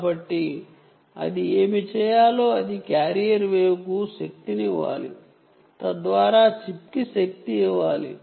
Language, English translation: Telugu, so what it will have to do, it will have to power the carrier wave, will have to power carrier wave powers the chip